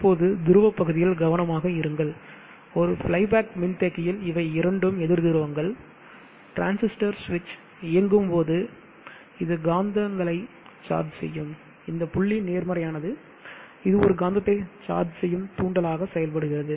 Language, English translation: Tamil, Now be careful with the dot polarity in a fly back capacitor these two are opposite poles when the transistor switch is on, it will charge up this magnetic, this dot is positive, it will charge up this magnetic which is acting like an inductor